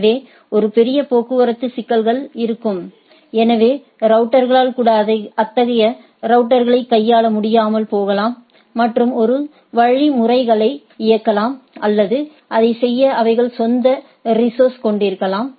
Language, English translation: Tamil, So, there will be a huge traffic problem, even the router may not be able to handle such a network and do run a algorithms or with his own resources to do that